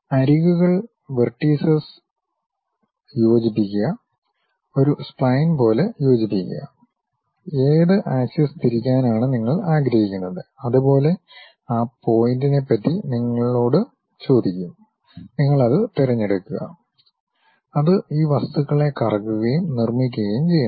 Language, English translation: Malayalam, Takes that edges, vertices, connect it, fit something like a spline; then it asks you information about which axis you would like to really rotate, ask you for those points, you pick that; then it revolves and construct these objects